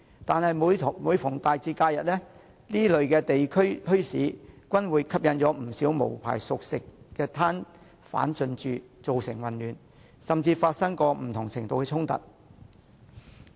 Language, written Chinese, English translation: Cantonese, 但是，每逢大節和假日，這些地區墟市均會吸引不少無牌熟食攤販進駐，造成混亂，甚至發生不同程度的衝突。, Nevertheless these local bazaars will attract many unlicensed cooked food hawkers during major festivals and holidays and create chaos or even conflicts with different degrees of severity